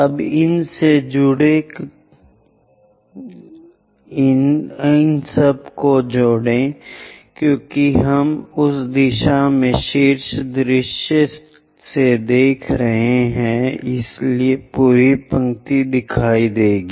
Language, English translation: Hindi, Now join these because we are looking from top view in that direction so entire row will be visible